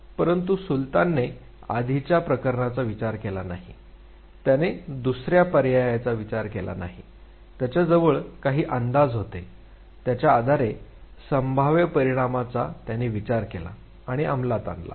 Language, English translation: Marathi, But then Sultan unlike the previous case did not try out options, he just had some approximation based on which thought of a possible consequence and executed it